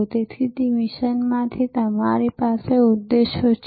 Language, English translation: Gujarati, And then therefore, out of that mission you have objectives